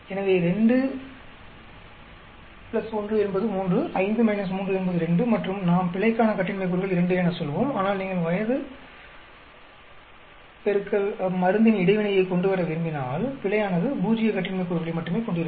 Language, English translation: Tamil, So, 2 plus 1 is 3, 5 minus 3 is 2 and we will call 2 degrees of freedom for error, but if you want to bring in interaction age into drug, then error will have only zero degrees of freedom